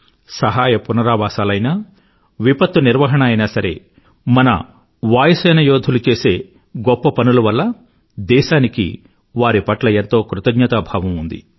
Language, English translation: Telugu, Be it the relief and rescue work or disaster management, our country is indebted to our Air Force for the commendable efforts of our Air Warrior